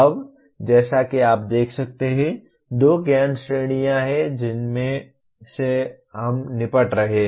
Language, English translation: Hindi, Now as you can see, there are two knowledge categories that we are dealing with